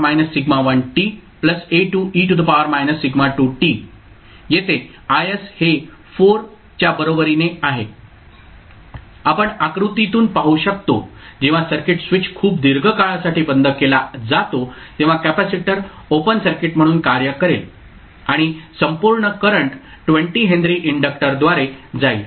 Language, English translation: Marathi, so here I s is equal to 4 this is what we can see from the figure when the circuit is the switch is closed for very long period the capacitor will be acting as a open circuit and the whole current will flow through 20 henry inductor